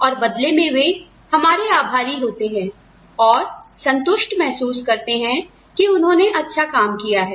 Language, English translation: Hindi, And, they in turn, feel grateful, or, they in turn, feel satisfied, that they have done good work